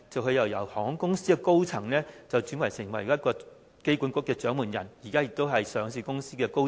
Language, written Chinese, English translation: Cantonese, 他是由航空公司的高層轉為香港機場管理局的掌門人，而現時也是上市公司的高層。, He used to be a senior airline official and the Chief Executive Officer of the Airport Authority . At present he is a senior official of a listed company